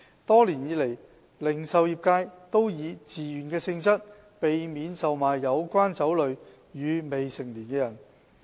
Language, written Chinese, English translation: Cantonese, 多年以來，零售業界都以自願方式，避免售賣有關酒類予未成年人。, Over the years the retail industry has been avoiding to sell the relevant liquor to minors on a voluntary basis